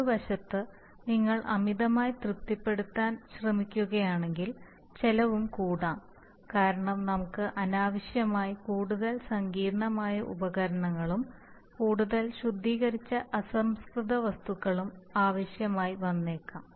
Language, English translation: Malayalam, On the other hand if you try to do, try to over satisfy then also cost may go up because we may unnecessarily require more sophisticated equipment and or more refined raw material